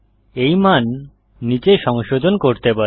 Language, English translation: Bengali, This value can be modified below